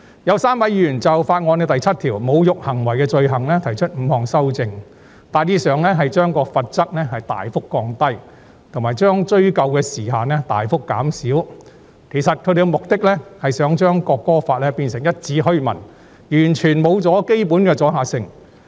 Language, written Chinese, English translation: Cantonese, 有3位議員就《條例草案》第7條有關"侮辱行為的罪行"提出5項修正案，大致上旨在把罰則大幅降低，以及把追溯期大幅縮短。他們的目的其實是想把《條例草案》變成一紙虛文，完全失去基本阻嚇性。, Three Members have proposed five amendments to clause 7 of the Bill in relation to Offence of insulting behaviour . These amendments mainly seek to significantly reduce the penalties and shorten the retrospective period for the purpose of rendering the Bill empty and lacking deterrent effect